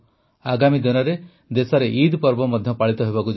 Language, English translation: Odia, In the coming days, we will have the festival of Eid in the country